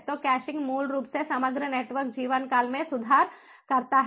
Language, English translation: Hindi, so caching basically improves overall network life time